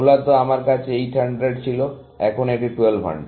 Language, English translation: Bengali, Originally, I had 800, now it is 1200